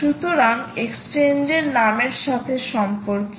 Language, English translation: Bengali, look out for the name of the exchange